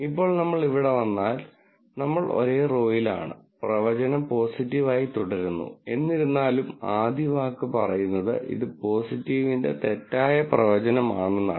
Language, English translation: Malayalam, Now, if we come to this here since, we are on the same row, the prediction still remains positive, however, the first word says it is a false prediction of positive